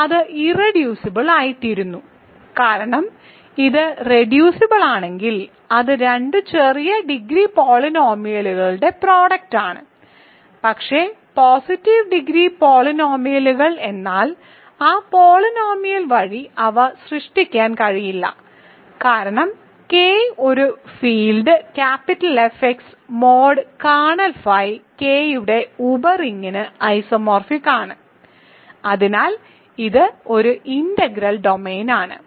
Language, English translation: Malayalam, But then it they cannot be generated by that polynomial which as the least degree another way of saying this is, because K is a field F x mod kernel phi is isomorphic to a sub ring of K and as such it is an integral domain right